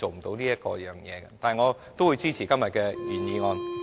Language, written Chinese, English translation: Cantonese, 但是，我仍然會支持今天的原議案。, Nevertheless I will still support the original motion today